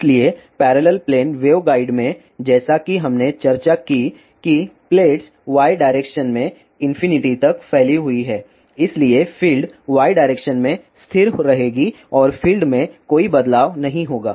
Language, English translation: Hindi, So, in parallel plane waveguide as we discus that the plates are x n to infinity in the direction y, so the field will be constant in y direction and that will not be any change in the fields